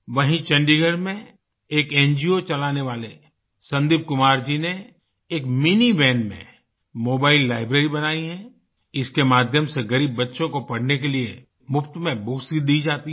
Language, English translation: Hindi, In Chandigarh, Sandeep Kumar who runs an NGO has set up a mobile library in a mini van, through which, poor children are given books to read free of cost